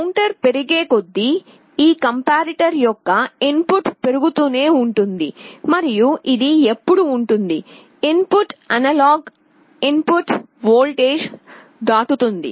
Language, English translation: Telugu, As the counter increases the input of this comparator will go on increasing, and there will be a point when this input will be crossing the analog input voltage